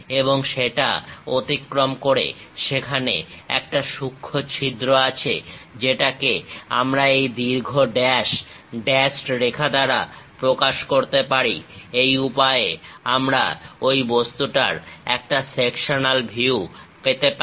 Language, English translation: Bengali, And there is a tiny hole passing through that, that we can represent by this long dash dashed line; this is the way we get a sectional view of the object